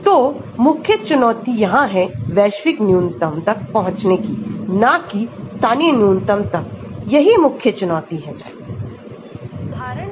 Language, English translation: Hindi, So, the main challenge here is to reach the global minimum not end up with local minimum, that is the main challenge